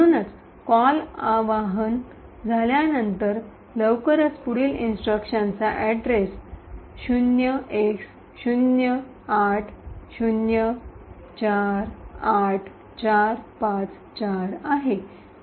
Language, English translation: Marathi, So, soon after the call gets invoked the next instruction has the address 08048454